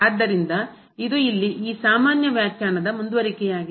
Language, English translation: Kannada, So, this is just the continuation of this rather general definition here